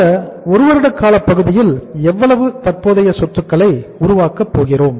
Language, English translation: Tamil, How much current assets we are going to build over this period of 1 year